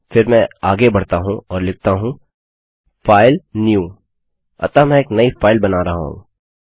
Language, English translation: Hindi, Then Ill go ahead and say filenew, so Im creating a new file